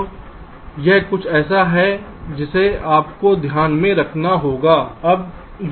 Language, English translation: Hindi, ok, so this is something you have to keep in mind